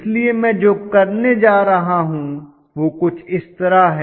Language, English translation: Hindi, So what I am going to do is something like this